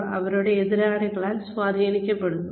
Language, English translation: Malayalam, They are influenced by their competitors